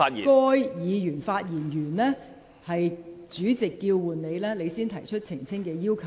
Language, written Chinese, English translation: Cantonese, 而須在該議員發言完畢後，待主席叫喚其名字，他方可提出澄清要求。, He can only raise his request for elucidation after that Member has finished speaking and his name is called by the President